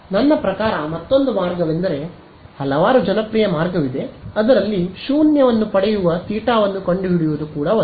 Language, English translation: Kannada, Another way I mean there are several ways the other popular way is to find out that theta at which you get a null